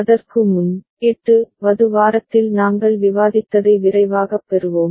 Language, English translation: Tamil, Before that we shall have a quick recap of what we discussed in week 8